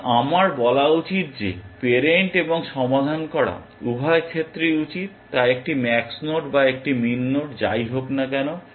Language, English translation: Bengali, So, I should say that, parent and solved in both cases whether it is a max node or a min node